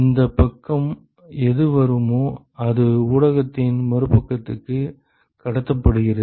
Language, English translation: Tamil, Whatever is coming in this side is transmitted to the other side of the medium